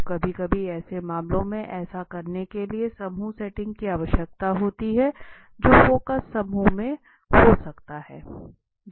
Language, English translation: Hindi, So sometimes in such cases a group setting is required to do that which will be doing in the next may be in the focus group right